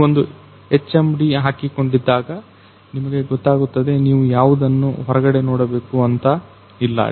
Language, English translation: Kannada, So, while wearing this particular HMD inside you can see that you know you do not have to see outside anything